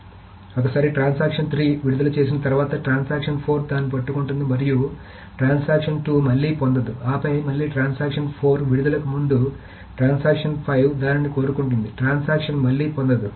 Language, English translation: Telugu, So once transaction 3 releases, transaction 4 grabs it and transaction 2 again doesn't get it